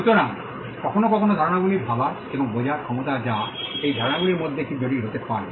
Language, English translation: Bengali, So, it is the ability to think and understand ideas sometimes which some of those ideas could be complicated